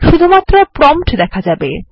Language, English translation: Bengali, Only the prompt will be printed